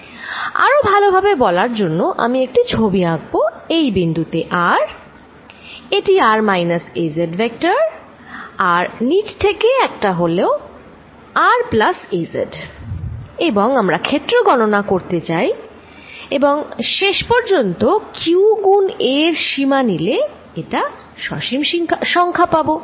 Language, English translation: Bengali, To make it more explicit, let me draw this point r, this is vector r minus ‘az’ and the one from the bottom here is r plus ‘az’ and we want to calculate this field and finally, take the limit q times a going to a finite number